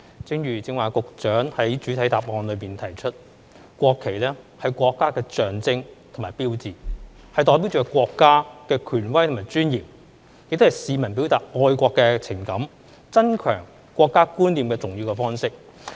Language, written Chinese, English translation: Cantonese, 正如局長剛才在主體答覆中提到，"國旗是國家的象徵和標誌，代表着國家的權威和尊嚴，亦是市民表達愛國情感、增強國家觀念的重要方式"。, As the Secretary mentioned in the main reply the national flag is the symbol and sign of the country representing the authority and dignity of the country . It also serves as an important means for members of the public to express their patriotic feelings and strengthen their national sense